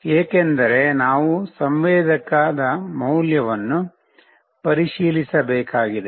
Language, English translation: Kannada, We will be printing the sensor value